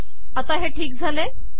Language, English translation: Marathi, So now this is okay